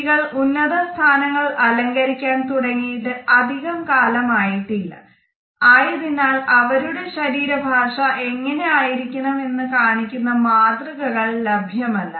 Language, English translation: Malayalam, It is only recent that women have started to wield positions of authority at a much higher level; they do not have any role models from whom they can learn skills in body language